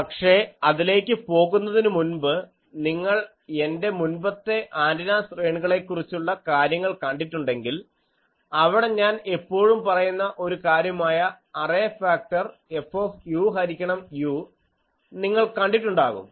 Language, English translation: Malayalam, But, before going there, I will see if you see my earlier array antenna things also, there is one thing that I always express the array factor as F u by u